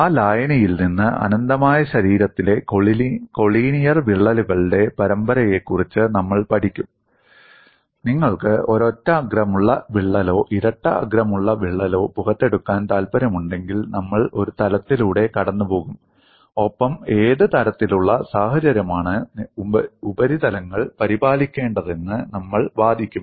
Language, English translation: Malayalam, We would study for series of collinear cracks in an infinite body from that solution, if you want to take out a single edged crack or double edged crack, we would pass a plane and we would argue what kind of situation that should be maintained on the surfaces